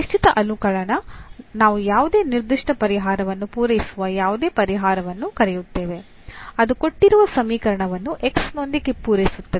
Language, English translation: Kannada, So, the particular integral we call any solution which satisfy any particular solution which satisfy the given equation with this here X